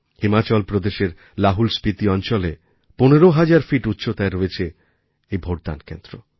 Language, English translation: Bengali, At an altitude of 15,000 feet, it is located in the LahaulSpiti region of Himachal Pradesh